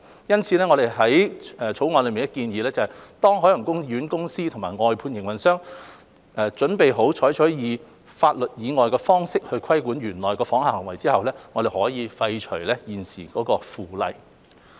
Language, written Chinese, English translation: Cantonese, 因此，我們於《條例草案》內建議，當海洋公園公司及外判營運商準備好採取法例以外的方式規管園內訪客的行為後，我們可以廢除現時的《附例》。, Therefore we propose in the Bill that the existing Bylaw be repealed once OPC and outsourcing operators are ready to use means other than the Bylaw to regulate patron conduct in the park